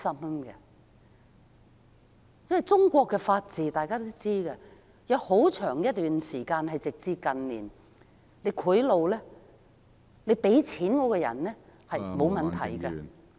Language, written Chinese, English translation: Cantonese, 大家都知道，在中國，有很長一段時間，直至近年，行賄是沒有問題的......, Everyone knows that for a very long time until recent years it was not a problem to bribe in China